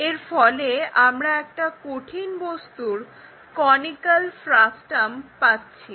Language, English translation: Bengali, Which which is what we call conical frustum